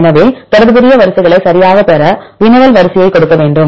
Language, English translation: Tamil, So, you need to give your query sequence to obtain the relevant sequences right